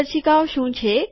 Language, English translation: Gujarati, What are the guidelines